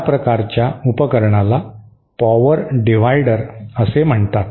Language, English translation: Marathi, That kind of device is called a power divider